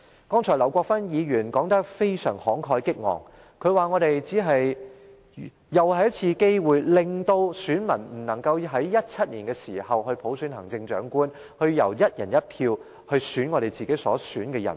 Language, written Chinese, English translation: Cantonese, 剛才，劉國勳議員說得非常慷慨激昂，他說這是再次錯失機會，令選民不能在2017年普選行政長官，由"一人一票"選出自己想選的人。, Mr LAU Kwok - fan has spoken very eloquently just now and said that we have let the chance slip away once again thus depriving electors of the opportunity to elect the Chief Executive by universal suffrage in 2017 and vote for the candidate they prefer on a one person one vote basis